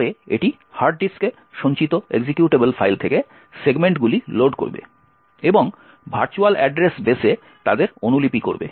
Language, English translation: Bengali, It would then load segments from the executable file stored on the hard disk and copy them into the virtual address base